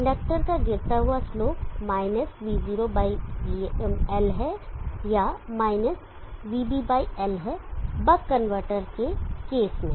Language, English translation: Hindi, Following slope of the inductor is – v0/l or – vb/ l for the case of the work convertor